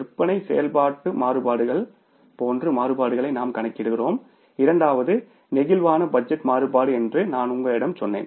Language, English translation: Tamil, I told you that we calculate the variances like sales activity variance and second is the flexible budget variances